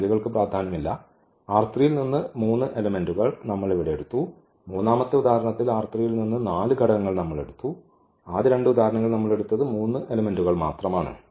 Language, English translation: Malayalam, That just the number is not important that we have taken here three elements from R 3 in this, in the third example we have taken four elements from R 3 in first two examples we have taken again only three elements